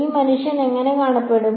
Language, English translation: Malayalam, How will this guy look